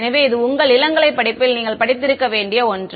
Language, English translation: Tamil, So, this is something which is you should have studied in your undergraduate course